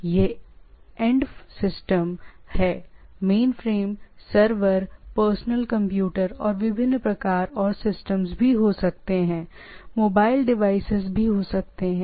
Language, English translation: Hindi, So, there are there are end systems right end systems, there are there can be mainframe, server, personal computer and variety of things, there can be mobile devices and so on so forth